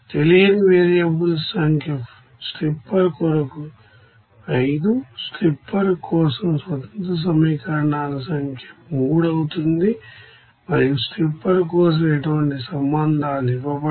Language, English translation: Telugu, Number of unknown you know variables will be for stripper as 5, number of independent equations for stripper it will be 3 and there is no relations given for stripper